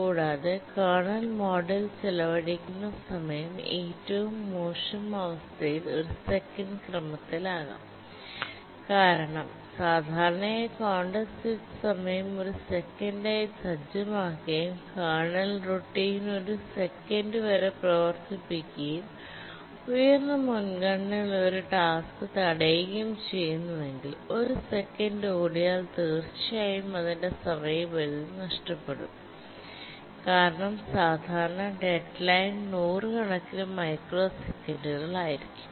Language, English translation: Malayalam, But if the kernel is non preemptible, then it can cause deadline misses because the task preemption time becomes the time spent in the kernel mode plus the contact switch time and the time spent in kernel mode can be of the order of a second in the worst case because typically the contact switch time is set as one second and the kernel routine can run up to a second and if a task high priority task is prevented from running for one second, then definitely it will miss deadline because typical deadlines are of hundreds of microseconds